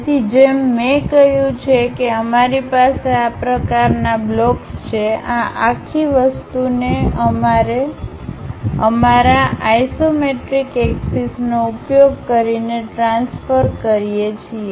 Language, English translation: Gujarati, So, as I said we have this kind of blocks, transfer this entire thing using our isometric axis